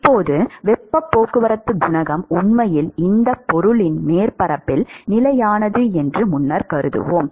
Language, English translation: Tamil, Now, earlier we would assume that the heat transport coefficient is actually constant along the surface of this object